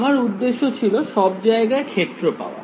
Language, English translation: Bengali, My objective was to find the field everywhere